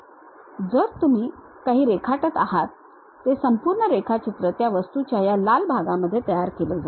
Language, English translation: Marathi, So, whatever you are drawing happens that entire drawing you will be constructed within this red portion of that object